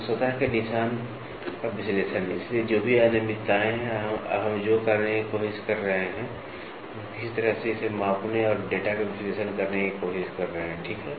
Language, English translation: Hindi, So, analysis of surface traces, so the irregularities whatever is there, now what we are trying to do is, we are trying to somehow measure it and analyze the data, ok, measure and analyze the data